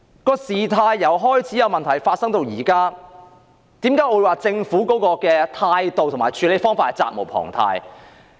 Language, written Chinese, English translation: Cantonese, 問題由開始發生至今，為何我認為政府的態度及處理方法都值得商榷？, Why do I consider the Governments attitude as well as its way of dealing with the incidents is debatable from the beginning of the incident to now?